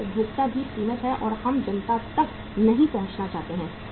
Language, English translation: Hindi, Our consumers are also limited and we do not want to reach up to the masses